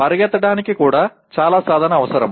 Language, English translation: Telugu, Running requires lot of practice